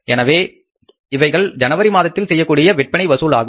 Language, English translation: Tamil, In the month of January, this is going to be the sales collection